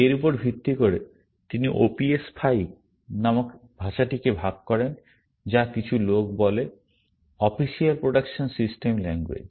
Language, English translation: Bengali, Based on this, he divides the language called OPS5 which, some people say, stands for Official Production System Language